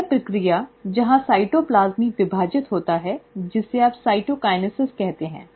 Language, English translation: Hindi, This process, where the cytoplasm also divides, is what you call as the cytokinesis